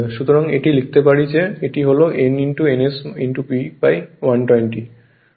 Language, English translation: Bengali, So, this one you can write is that is this is your what you call n ns into P upon 120